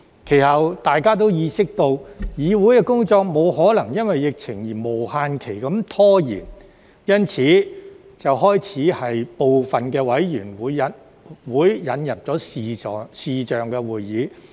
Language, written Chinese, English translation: Cantonese, 其後，大家都意識到，議會工作沒可能因為疫情而無限期拖延，因此便開始在部分委員會引入視像會議。, Then we all realized that the work of the Council could not be delayed indefinitely by the epidemic and so we started to introduce video conferencing into some committees